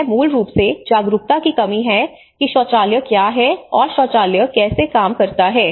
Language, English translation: Hindi, It is basically their lack of awareness on what a toilet is and what how a toilet functions